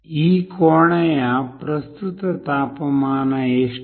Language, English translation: Kannada, What was the current temperature of this room